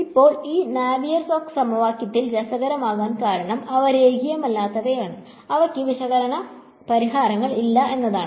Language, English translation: Malayalam, Now what is interesting about this Navier Stokes equation is that they are non linear and they do not have analytical solutions